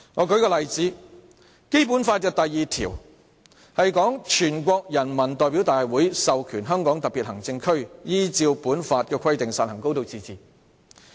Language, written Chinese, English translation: Cantonese, 舉例說，《基本法》第二條訂明："全國人民代表大會授權香港特別行政區依照本法的規定實行高度自治"。, For instance Article 2 of the Basic Law stipulates that The National Peoples Congress authorizes the Hong Kong Special Administrative Region to exercise a high degree of autonomy